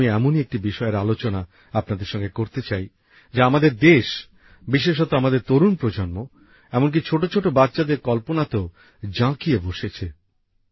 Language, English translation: Bengali, Today I want to discuss with you one such topic, which has caught the imagination of our country, especially our youth and even little children